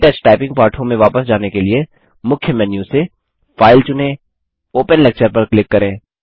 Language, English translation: Hindi, To go back to the KTouch typing lessons,from the Main menu, select File, click Open Lecture